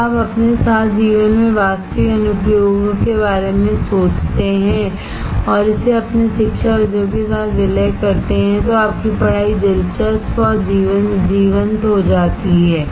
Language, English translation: Hindi, When you think about the actual applications in life with your and merge it with your academics, your studies becomes interesting and lively